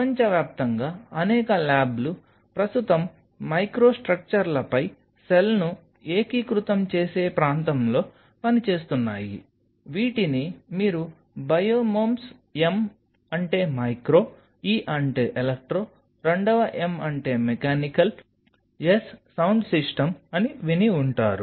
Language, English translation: Telugu, Then there are several labs across the world who are currently working in the area of integrating cell on microstructures, which you must have heard something called Biomems M stands for micro, E stands for electro, the second M is mechanical, S stand for system